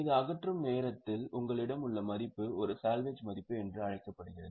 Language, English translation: Tamil, This is at the time of disposal what value you have is called as a salvage value